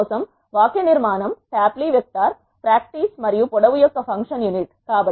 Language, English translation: Telugu, The syntax for that is tapply a vector, practice and the function unit of length